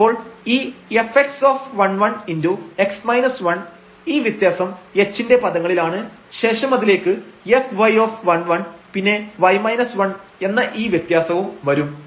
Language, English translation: Malayalam, So, the f x at 1 1 x minus 1 so, this difference again in terms of h f y 1 1 and then we have y minus 1 again the difference here